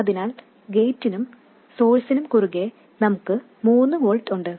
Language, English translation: Malayalam, So, across the gate and source we have 3 volts